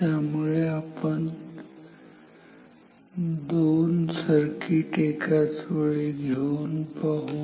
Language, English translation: Marathi, So, let us try 2 circuits side by side